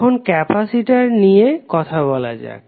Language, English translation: Bengali, Now, let us talk about the capacitor